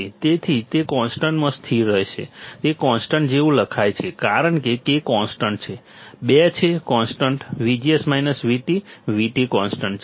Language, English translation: Gujarati, So, it will be constant into constant it is written like constant because K is constant 2 is constant V G S minus VT; VT is constant